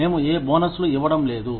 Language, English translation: Telugu, We are not going to give, any bonuses